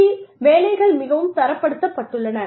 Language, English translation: Tamil, Jobs are fairly standardized within the industry